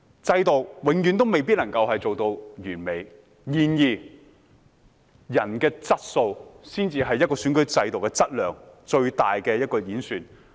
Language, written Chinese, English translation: Cantonese, 制度永遠未必能夠做到完美；然而，人的質素才是一個選舉制度的質量最大的一個演示。, A system may not always achieve perfection but the quality of people is the most crucial indicator of the quality of an electoral system